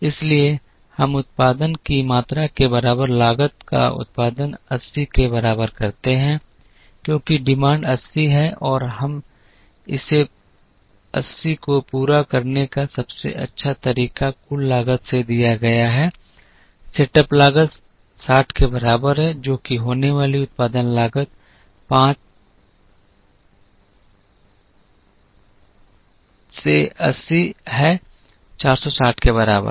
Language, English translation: Hindi, So, we produce the cost equal to production quantity is equal to 80 because demand is 80 and the best way to meet this 80 is given by total cost is equal to setup cost is 60, which is to be incurred production cost is 5 into 80 equal to 460